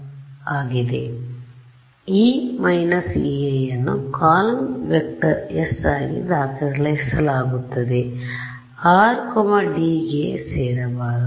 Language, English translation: Kannada, So, E minus E i is being recorded into a column vector s of course, r should not belong to d